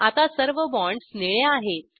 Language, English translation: Marathi, All the bonds are now blue in color